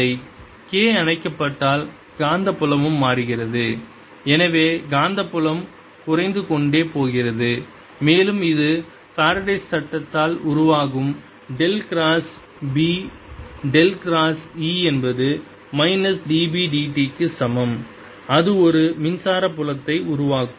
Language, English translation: Tamil, if k is being switched off, the magnetic field also changes and therefore the magnetic field is going down, is becoming smaller and it'll produce, by faradays law del cross, b del cross e equals minus d, b d t